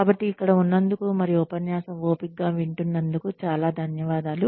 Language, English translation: Telugu, So, thank you very much, for being here, and listening patiently to the lecture